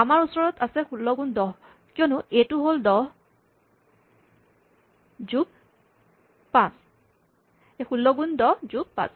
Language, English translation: Assamese, So, we have 16 times 10, because the A is 10, plus 5